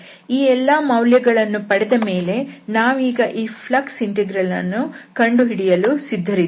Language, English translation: Kannada, So, these evaluation we have done, so we are ready now to compute this flux integral